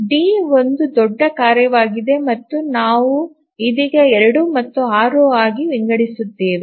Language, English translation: Kannada, So, is D is a large task and we divide into 2 and 6